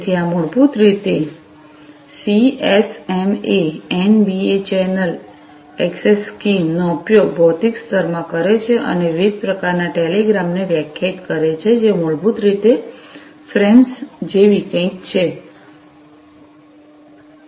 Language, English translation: Gujarati, So, this can basically uses the CSMA, NBA channel access scheme, in the physical layer and defines different sorts of telegrams, which is basically some something like the frames